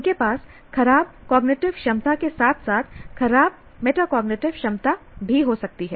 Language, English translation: Hindi, They may have poor cognitive ability as well as poor metacognitive ability, both